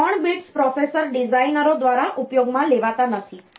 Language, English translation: Gujarati, These 3 bits are not used by the processor designers